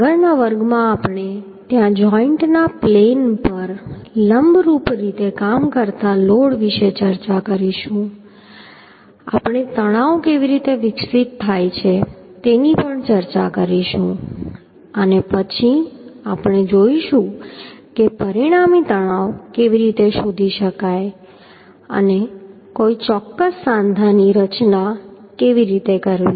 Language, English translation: Gujarati, In next class we will discuss about the load acting perpendicular to the plane of joint there we how the stresses are developed that will discuss and then we will see how to find out the resultant stresses and how to design a particular joint